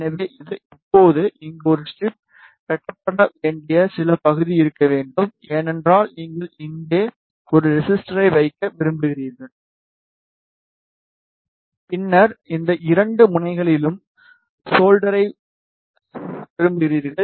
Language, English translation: Tamil, So, this is a strip now here there should be some portion which should be cut, because you want to place a resistor here and then you want to solder at these 2 ends